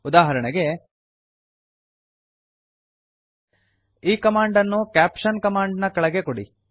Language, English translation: Kannada, For example you give this command below the caption command